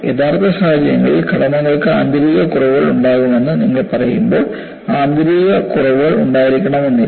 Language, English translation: Malayalam, You know, in real situations, when you say structures can have internal flaws, the internal flaws need not be one